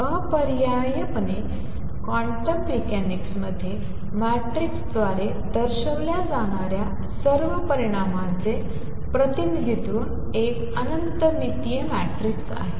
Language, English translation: Marathi, So, necessarily all the quantities that are represented by matrix in quantum mechanics the representation is an infinite dimensional matrix